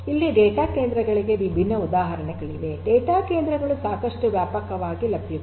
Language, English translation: Kannada, Here there are different examples of data centres, data centres are quite widely available